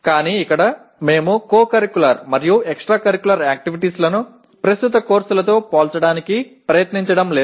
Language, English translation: Telugu, But here we are not trying to compare co curricular and extra curricular activities with the courses as of now